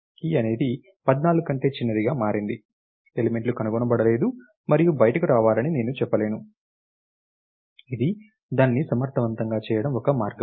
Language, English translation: Telugu, Key is become smaller than 14, I can say elements is not found in and come out, the one way of doing it efficiently